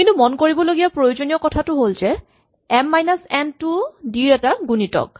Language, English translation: Assamese, But the important thing to note is that m minus n is also a multiple of d